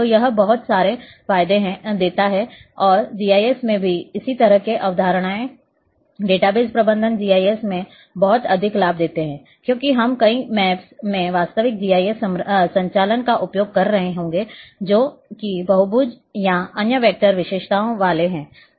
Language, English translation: Hindi, So, this this gives a lot of advantages in also in the GIS this kind of concept of database management give lot of advantage in GIS because we will be using in real GIS operations many maps which are having polygons or other vector features